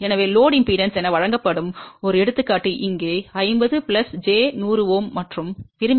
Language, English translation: Tamil, So, here is an example where the load impedance is given as 50 plus j 100 Ohm and desire is 50 Ohm